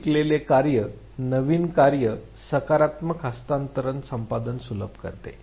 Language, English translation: Marathi, Earlier learnt task facilitates acquisition of the new task positive transfer